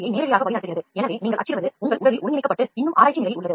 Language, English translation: Tamil, So, this leads directly towards rapid manufacturing, so what you print gets integrated into your body and still it is in the research stage